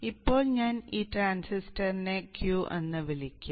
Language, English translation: Malayalam, Now let me call this transistor as Q